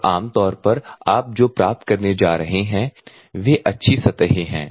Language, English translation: Hindi, And normally what you are going to get is fair to good surface you are going to achieve